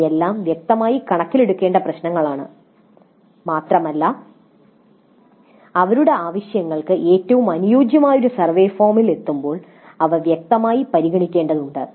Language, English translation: Malayalam, But these are all the issues that need to be taken into account explicitly and they need to be considered explicitly in arriving at a survey form which is best suited for their purposes